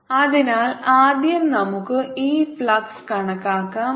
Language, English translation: Malayalam, so let's calculate this flux first